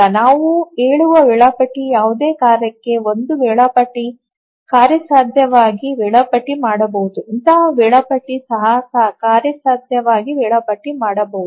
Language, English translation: Kannada, And two schedulers we say equally proficient if for any task set that one scheduler can feasibly schedule, the other scheduler can also feasibly schedule